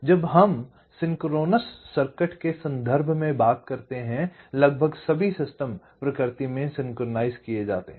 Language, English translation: Hindi, so almost all the systems that we talk about in terms of synchronise circuits are synchronise in nature